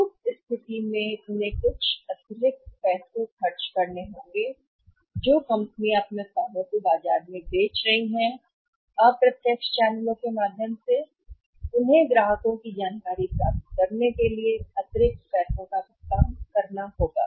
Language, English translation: Hindi, In that case they have to spend some extra money companies were selling their products in the market they have through indirect channels they have to shell out extra money to get the customer information